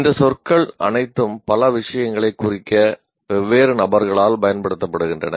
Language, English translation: Tamil, All these words are used by different people to represent many things